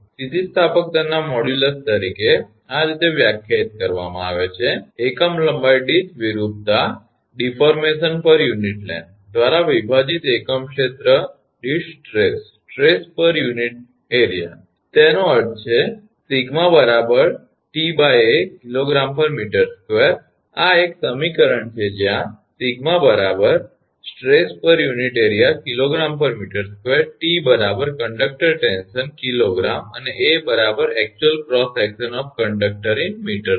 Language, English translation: Gujarati, The modulus of elasticity is defined as the, stress per unit area divided by the deformation per unit length; that means, sigma is equal to T upon A kg per meter square this is equation one, where sigma is equal to stress per unit area that is kg per meter square, T is equal to conductor tension in kg, and A is equal to actual cross section of conductor that is in meter square